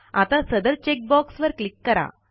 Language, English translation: Marathi, So click on the check box against it